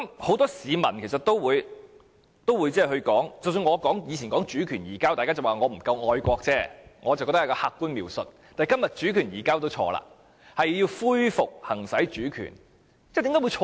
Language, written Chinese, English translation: Cantonese, 很多市民其實亦說，即使我過去說"主權移交"，大家也只是說我不太愛國而已，但我個人認為這是客觀描述，但今天說"主權移交"也是錯誤的，應該說"恢復行使主權"。, When I used the phrase handover of sovereignty in the past many people would only say that I was a little unpatriotic . To me it is an objective description . But today I am wrong if I say handover of sovereignty and I should say to resume the exercise of sovereignty